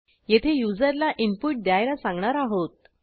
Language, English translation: Marathi, Here we are asking the user for input